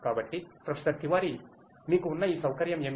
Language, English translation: Telugu, So, Professor Tiwari, so you have a wonderful facility over here